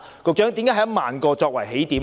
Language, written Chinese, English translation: Cantonese, 局長，為何以1萬個作為起點呢？, Secretary for Transport and Housing why should our starting point be 10 000 units?